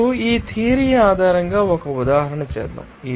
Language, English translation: Telugu, Now, let us do an example based on this theory